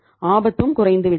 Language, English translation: Tamil, Risk has also come down